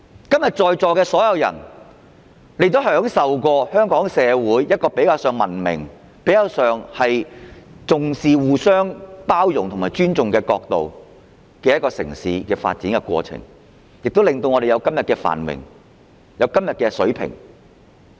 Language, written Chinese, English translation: Cantonese, 今天在席所有人也曾享受香港社會較文明、重視互相包容和尊重的城市發展過程，令我們可享有今天的繁榮和水平。, Everyone present today has experienced the civilized development of the city of Hong Kong with emphasis on tolerance and respect . We can thus enjoy the prosperity and living standard we have today